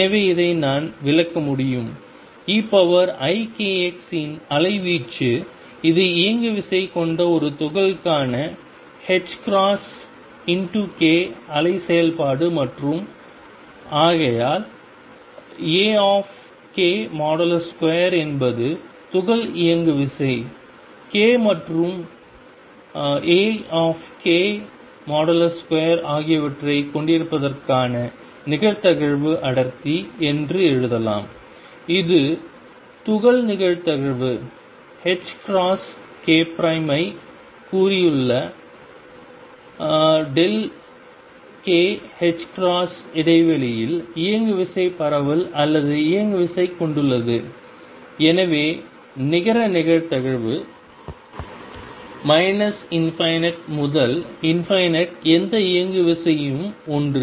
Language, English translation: Tamil, So, this I can enterprise as is the amplitude for e raise to i k s which is the wave function for a particle having momentum h cross k and therefore, I can write that mod a k square is the probability density for particle to have momentum k and a k mod square delta k this is the probability that particle has momentum spread or momentum in the interval delta k h cross delta k around h cross k h prime and therefore, the net probability